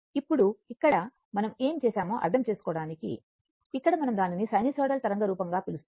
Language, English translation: Telugu, Now, here for your for our understanding what we have done is, here we have not taken it your what you call a sinusoidal waveform like that